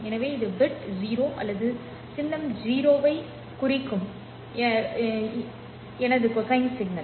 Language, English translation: Tamil, So this is my cosine signal representing the bit 0 or the symbol 0